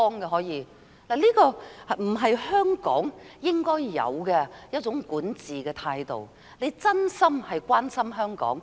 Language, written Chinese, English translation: Cantonese, 這並非香港應有的管治態度，而是要真心關心香港。, This is not an appropriate attitude to govern Hong Kong; she should truly care for Hong Kong